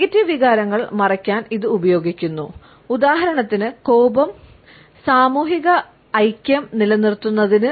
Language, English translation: Malayalam, This is used to hide negative emotions, for example, anger etcetera to maintain social harmony